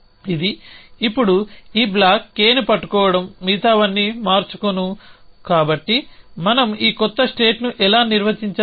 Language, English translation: Telugu, It is the now, holding this block K everything else it is the change so how do we define this new state